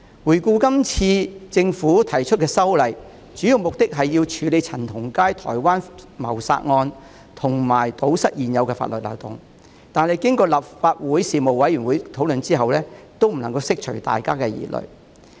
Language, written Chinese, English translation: Cantonese, 回顧今次政府提出的法例修訂，主要目的是處理陳同佳台灣謀殺案，以及堵塞現有法律漏洞，但經過立法會事務委員會討論後，也未能釋除大家的疑慮。, In retrospect the introduction of the legislative amendment by the Government this time around mainly seeks to handle the Taiwan homicide case involving CHAN Tong - kai and plug loopholes in existing laws . Yet after the discussion at the relevant Panel of the Legislative Council misgivings of the public were not alleviated